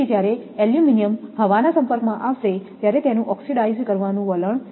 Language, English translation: Gujarati, So, aluminum has a tendency to oxidize when exposed to air